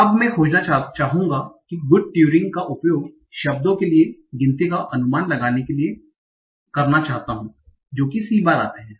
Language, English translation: Hindi, Now I want to find, I want to use good Turing to estimate the count for these words that are c times